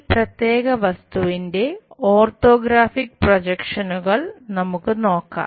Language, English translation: Malayalam, Let us look at orthographic projections of this particular object